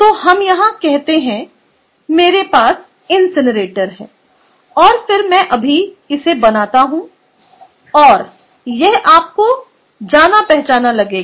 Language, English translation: Hindi, so let us say: here i have the incinerator clear, and then i will just draw this right now and this will look familiar to you